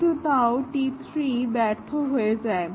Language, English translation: Bengali, But still, T 3 failed; why